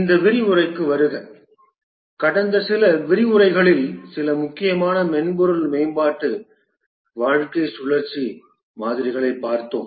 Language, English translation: Tamil, Welcome to this lecture over the last few lectures we had looked at a few important software development lifecycle models